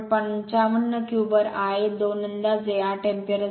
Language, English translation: Marathi, 55 cubes, I a 2 will be approximately 8 ampere